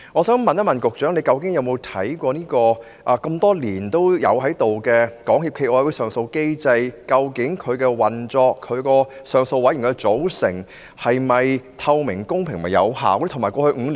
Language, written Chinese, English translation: Cantonese, 請問局長曾否檢視這個已存在多年的港協暨奧委會上訴機制的運作，以及其上訴委員會的組成是否透明、公平和有效呢？, May I ask the Secretary whether he has conducted any review to see if the operation of SFOCs long - standing appeal mechanism and the composition of its Appeal Panel are transparent fair and effective?